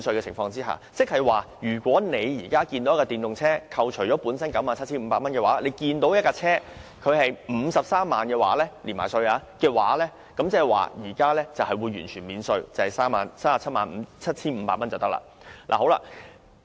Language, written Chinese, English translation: Cantonese, 換言之，如果你想購買一輛電動車，之前在扣除 97,500 元稅務寬免後的含稅車價為 530,000 元，但在"一換一"計劃下則完全免稅，含稅車價只是 377,500 元。, In other words suppose you want to buy an EV its tax - inclusive price would be 530,000 after deducting the 97,500 tax concession before . But under the Scheme it will be totally tax - free and the tax - inclusive price is merely 377,500